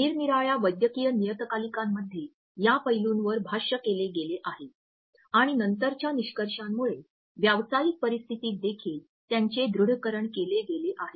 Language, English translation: Marathi, In various medical journals this aspect has been commented on and later findings have corroborated them in professional situations also